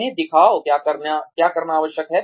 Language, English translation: Hindi, Show them, what is required to be done